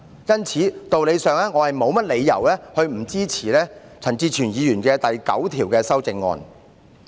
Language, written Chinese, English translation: Cantonese, 因此，我沒理由不支持陳志全議員就第9條提出的修正案。, As such I have no reason to not support the amendment to clause 9 proposed by Mr CHAN Chi - chuen . The problem is as follows